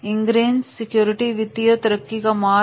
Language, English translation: Hindi, Ingress securities, our way to financial growth